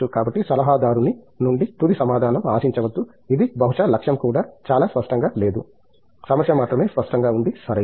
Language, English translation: Telugu, So, do not expect a final answer from an adviser, it is the probably the goal is also not very clear, only the problem is clear, right